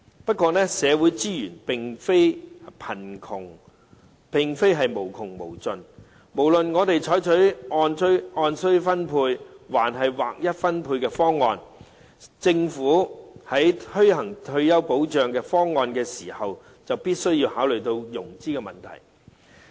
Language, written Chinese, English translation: Cantonese, 不過，社會資源並非無窮無盡，不論我們採取按需要分配，還是劃一分配的方案，政府在推行退休保障方案時必須考慮融資問題。, However social resources are not unlimited . No matter whether we adopt the proposal of distribution according to needs or handing out a uniform payment the Government must consider the question of financing in implementing the retirement protection proposal